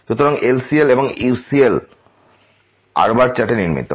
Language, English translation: Bengali, So, LCL and the UCL constructed for the chart